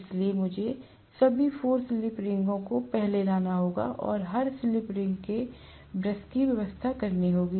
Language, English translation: Hindi, So, I have to bring out first of all 4 slip rings and every slip ring will have a brush arrangement